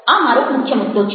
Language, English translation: Gujarati, ok, this is my central point